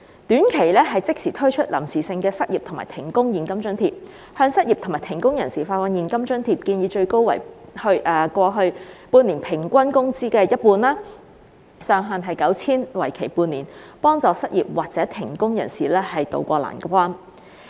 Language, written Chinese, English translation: Cantonese, 短期方面，政府應即時推出臨時性的失業和停工現金津貼，向失業和停工人士發放現金津貼，建議最高為過去半年每月平均工資的一半，上限 9,000 元，為期半年，協助失業或停工人士渡過難關。, In the short term the Government should immediately introduce a temporary cash allowance for unemployment and suspension of work providing people who are unemployed or suspended from work with an amount equivalent to half of their monthly average wages over the past half year subject to a ceiling of 9,000 for a half - year period so as to tide them over this difficult period